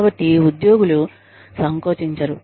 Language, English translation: Telugu, So, the employees feel free